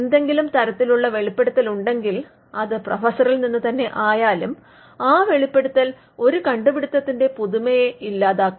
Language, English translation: Malayalam, If there is any disclosure be it from the professor himself then that disclosure can kill the novelty of an invention